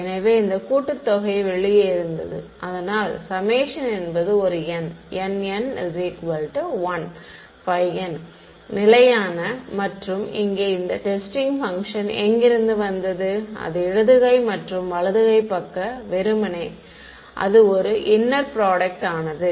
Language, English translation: Tamil, So, this summation stayed outside right; so, this is n equal to 1 to n, phi n is a number that is constant and here is where the testing function came, that is the left hand side and right hand side simply became the inner product of right